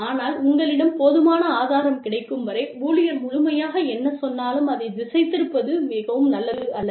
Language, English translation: Tamil, But, it is not very nice to be swayed by, whatever the employee says completely, till you have enough proof